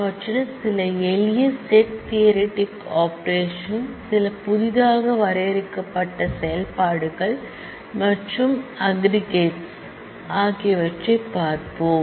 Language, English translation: Tamil, Some of them are simple set theoretic operations some are newly defined operations and we look at the aggregators